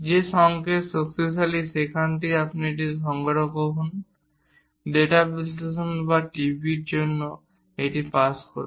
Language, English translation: Bengali, That strengthens the signal; from there, you collect it, pass it for data analysis or for the TV